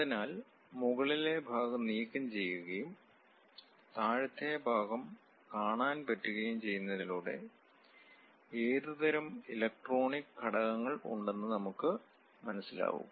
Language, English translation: Malayalam, So, the top part will be removed and bottom part can be visualized, so that we will understand what kind of electronic components are present